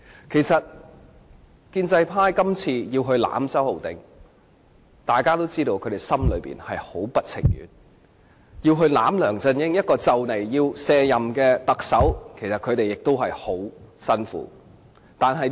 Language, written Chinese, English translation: Cantonese, 其實，大家都知道，建制派議員今次要維護周浩鼎議員，心中是很不情願的；他們要維護梁振英這位即將卸任的特首，也很辛苦。, Actually we all know that on this occasion pro - establishment Members are very reluctant to defend Mr Holden CHOW and it is very tough for them to defend LEUNG Chun - ying the outgoing Chief Executive